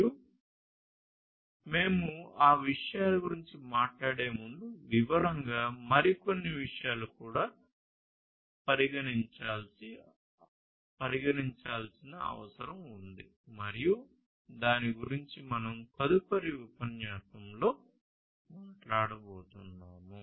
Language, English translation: Telugu, And before you know we talk about those things in detail, there are a few other issues that also need to be considered and that is what we are going to talk about in the next lecture